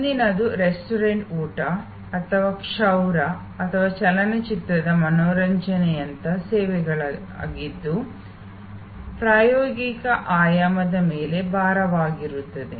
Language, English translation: Kannada, The next one which is kind of services like restaurant meals or haircut or entertainment a movie, heavy on the experiential dimension